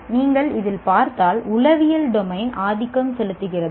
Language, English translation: Tamil, If you look at it, is the psychomotor dominant